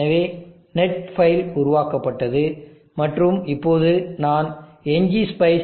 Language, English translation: Tamil, So the net 5 is generated and now I will type NG spice MPPT